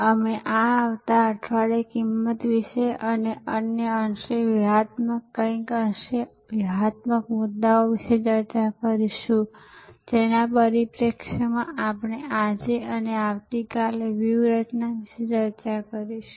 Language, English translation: Gujarati, And we will discuss this week, next week about pricing and other somewhat strategic, somewhat tactical issues in the perspective of what we are going to discuss today and tomorrow about strategy